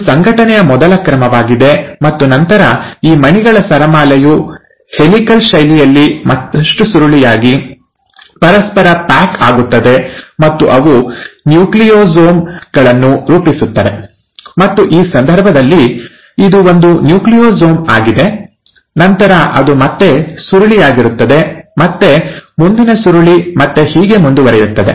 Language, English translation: Kannada, Now that's the first order of organization, and then this string of beads will further coil in a helical fashion and pack over each other and they will form nucleosomes, and so in this case this is one Nucleosome, then it coils again, and the next coiling and so on